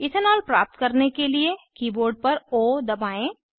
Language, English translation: Hindi, To obtain Ethanol, press O on the keyboard